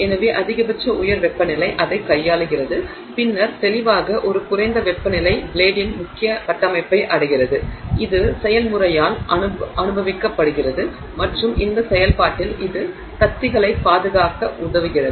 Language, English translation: Tamil, So, the maximum high temperature is handled by it and then you know distinctly lower temperature reaches the is what is experienced by the main structure of the blade and in this process it helps protect the blades